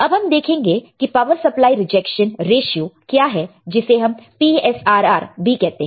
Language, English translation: Hindi, Now, let us see what is power supply rejection ratio, it is called PSRR